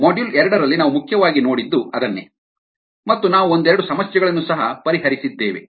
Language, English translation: Kannada, ok, that is what we essentially saw in ah module two, and we also worked out a couple of problems